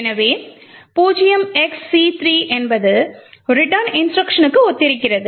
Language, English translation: Tamil, So essentially as we know 0xc3 corresponds to the return instruction